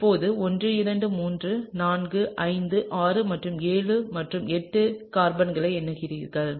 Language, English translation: Tamil, Now, let me just number the carbons 1 2 3 4 5 6 and 7 and 8, okay